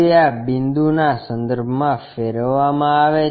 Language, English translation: Gujarati, It is rotated about this point